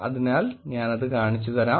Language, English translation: Malayalam, So let me show you